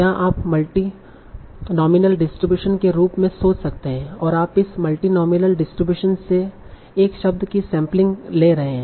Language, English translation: Hindi, So this you can think of as multinomial distribution and you are sampling one word from this multinomial distribution